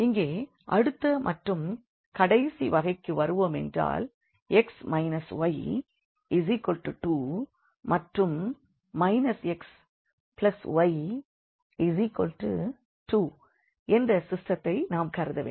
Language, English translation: Tamil, So, coming to the to the next and the last case here where we consider the system as x minus y is equal to 2 and minus x plus y is equal to minus 2